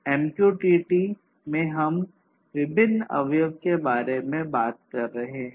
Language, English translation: Hindi, In MQTT we are talking about different components